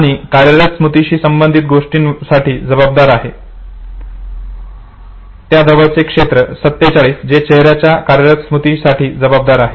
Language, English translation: Marathi, Close to it is area 47 which is responsible for face working memory and this is area 46 and it is responsible for spatial working memory